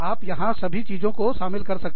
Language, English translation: Hindi, You could include, a whole bunch of things, here